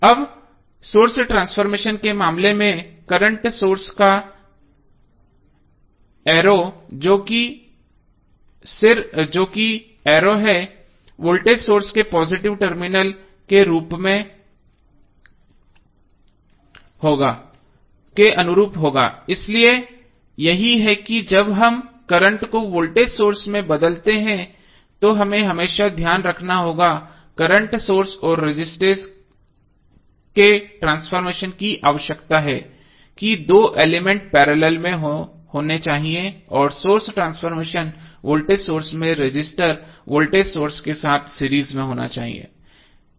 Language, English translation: Hindi, Now, in case of source transformation the head of the current source that is the arrow will correspond to the positive terminal of the voltage source, so this is what we have to always keep in mind while we transforming current to voltage source and source transformation of the current source and resistor requires that the two elements should be in parallel and source transformation voltage source is that resistor should be in series with the voltage source